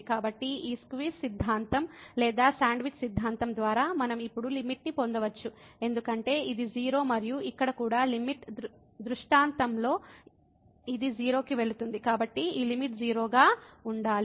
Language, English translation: Telugu, So, by this squeeze theorem or sandwich theorem, we can get now the limit this as because this is 0 and here also in the limiting scenario this is also going to 0 so, this limit has to be 0